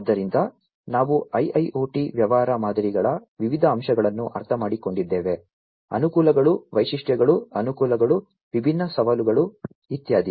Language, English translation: Kannada, So, we have understood the different aspects of IIoT business models, the advantages, the features, the advantages, the different challenges, and so on